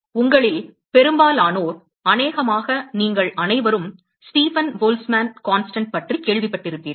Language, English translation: Tamil, Now, most of you, probably all of you would have, heard about Stefan Boltzmann constant right